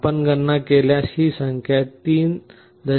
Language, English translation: Marathi, If you make a calculation this comes to 3